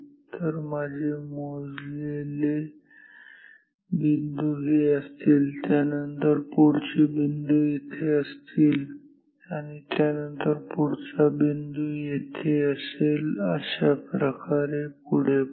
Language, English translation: Marathi, So, my measured points will be this, after that the next point is here, after that the next point is here and so on right